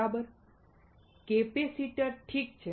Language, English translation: Gujarati, Right; capacitor, alright